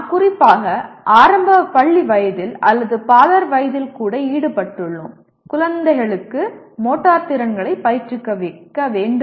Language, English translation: Tamil, We are involved especially at primary school age or even preschool age one of the major things is the children will have to be trained in the motor skills